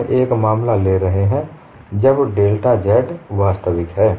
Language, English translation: Hindi, We are taking a case, when delta z is real